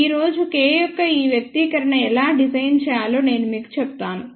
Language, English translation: Telugu, Today I will tell you how this expression of K is derived